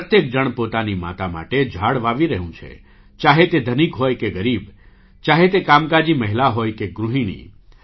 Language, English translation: Gujarati, Everyone is planting trees for one’s mother – whether one is rich or poor, whether one is a working woman or a homemaker